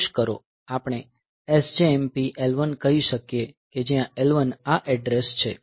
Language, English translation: Gujarati, So, we can say SJMP, SJMP L 1 where L 1 is this address